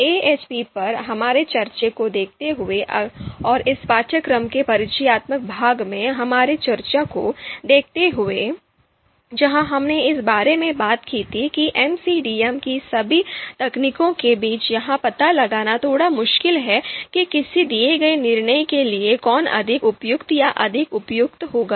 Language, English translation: Hindi, So given that we have already discussed AHP and given our discussion in the introductory part of this course you know where we talked about that it is slightly difficult for us to find out you know you know among all the MCDM techniques which one is going to be more suitable or more appropriate for a given decision problem